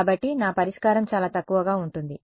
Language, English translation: Telugu, So, my solution will be sparse